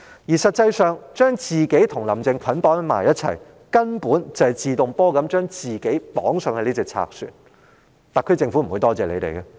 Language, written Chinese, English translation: Cantonese, 事實上，將自己與"林鄭"捆綁在一起，根本與自動登上賊船無異，特區政府是不會感謝的。, As a matter of fact bundling themselves up with Carrie LAM is basically no different from boarding a pirate ship of their own accord and the SAR Government will never thank them for this